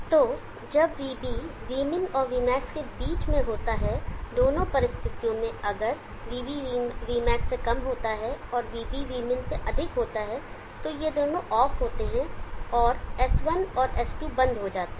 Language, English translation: Hindi, So when Vb is between Vmin and Vmax both Vb is < Vmax and Vb > Vmin both these are off and S1 and S2 are closed